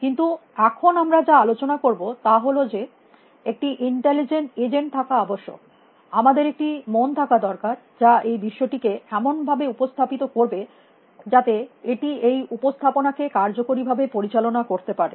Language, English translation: Bengali, But now what we want to discuss is that it is a necessity that if you have to have an intelligent agent, we have to have a mind which can represent the world in a way that it can manage the representation effectively